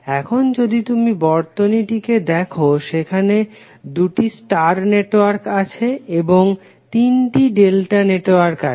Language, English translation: Bengali, Now if you see the circuit, there are 2 star networks and 3 delta networks